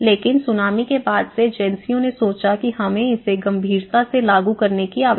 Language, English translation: Hindi, So, but after the Tsunami agencies have thought that we should seriously implement this